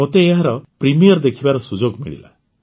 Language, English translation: Odia, I got an opportunity to attend its premiere